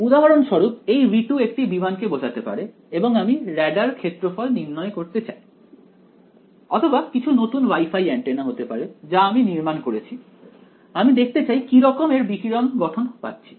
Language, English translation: Bengali, For example, this v 2 could represent an aircraft and I want to calculate its radar cross section or it could be some new Wi Fi antenna I have designed I want to see how its radiation pattern of this right